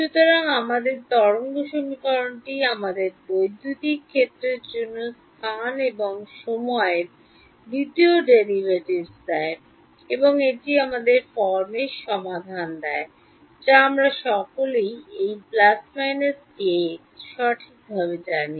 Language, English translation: Bengali, So, our wave equation gives us the second derivatives of space and time for the electric field and this gives us the solution of the form we all know this plus minus kx right